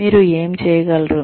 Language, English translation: Telugu, What you are able to achieve